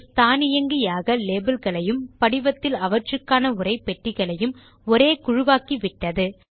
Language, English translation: Tamil, Base automatically has grouped the labels and corresponding textboxes in the form